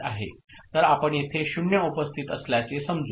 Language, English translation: Marathi, So, let us consider that there is a 0 present here ok